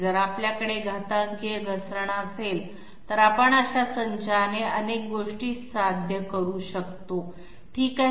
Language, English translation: Marathi, If we have exponential deceleration, we can achieve a number of things with that sort of a set, all right